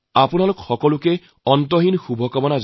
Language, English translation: Assamese, My good wishes to all of you